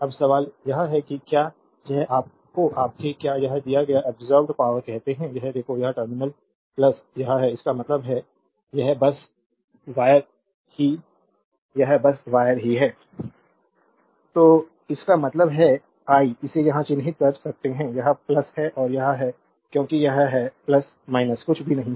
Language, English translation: Hindi, Now question is whether it your what you call it delivered or absorbed power, now look this terminal is plus this is minus; that means, this is the simply wire only this is the simply wire only right